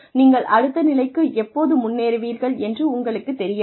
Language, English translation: Tamil, You do not know, when you will be advanced to the next level